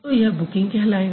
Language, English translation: Hindi, So that is going to be booking